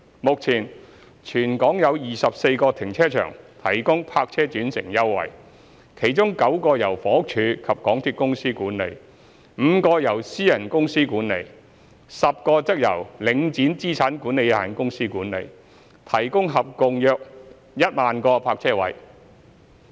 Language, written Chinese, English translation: Cantonese, 目前，全港有24個停車場提供泊車轉乘優惠，其中9個由房屋署及港鐵公司管理 ，5 個由私人公司管理 ，10 個則由領展資產管理有限公司管理，提供合共約1萬個泊車位。, Currently there are 24 car parks providing park - and - ride concessions in Hong Kong 9 of them are managed by the Housing Department and MTRCL 5 are managed by private companies and 10 are managed by the Link Asset Management Limited providing a total of around 10 000 parking spaces